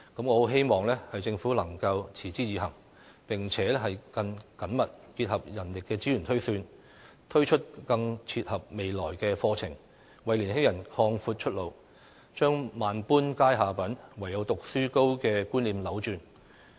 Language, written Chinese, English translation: Cantonese, 我很希望政府能夠持之以恆，並且更緊密結合人力資源推算，推出更切合未來的課程，為年輕人擴闊出路，把"萬般皆下品，唯有讀書高"的觀念扭轉。, I very much hope that the Government can persevere and achieve a closer interface with manpower projections in launching programmes that can better meet future needs so as to provide more pathways for young people and change the notion that to be a scholar is to be the top of society